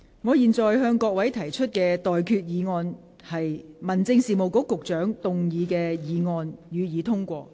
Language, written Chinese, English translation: Cantonese, 我現在向各位提出的待決議題是：民政事務局局長動議的議案，予以通過。, I now put the question to you and that is That the motion moved by the Secretary for Home Affairs be passed